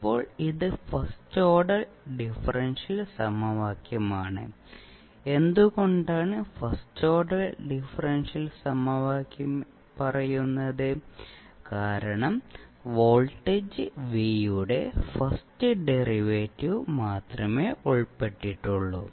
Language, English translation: Malayalam, Now, this is our first order differential equation so, why will say first order differential equation because only first derivative of voltage V is involved